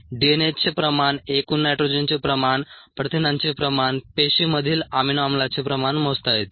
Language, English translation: Marathi, the amount of DNA, the amount of total nitrogen, the amount of protein, the amount of amino acid in a cells could be measured